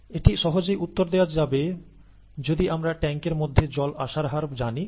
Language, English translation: Bengali, This can be easily answered if we know the input rate of water into the tank